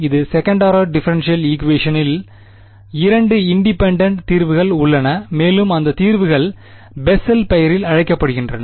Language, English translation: Tamil, This being a second order differential equation has two independent solutions and those solutions are named after Bessel right